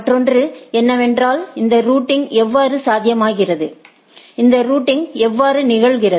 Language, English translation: Tamil, Another is that how this routing is possible right, how this routing happens